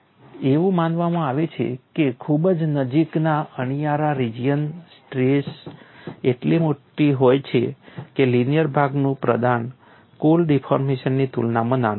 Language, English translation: Gujarati, It is assumed that in the very near tip region the strains are large enough that the contribution of the linear portion is small compared with the total deformation